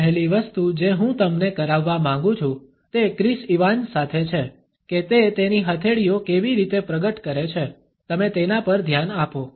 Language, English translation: Gujarati, First thing I want you to do with Chris Evans here is pay attention to how he reveals his palms